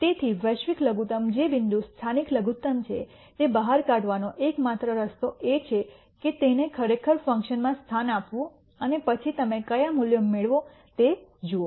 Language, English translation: Gujarati, So, the only way to figure out which point is a local minimum which is a global minimum is to actually substitute this into the function and then see what values you get